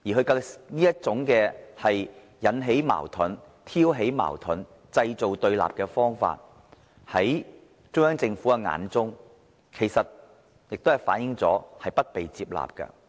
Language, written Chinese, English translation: Cantonese, 他這種引起、挑起矛盾、製造對立的方法，看在中央政府的眼中，其實亦是不被接納的。, The way he stirred things up and created confrontation was actually not accepted by the Central Government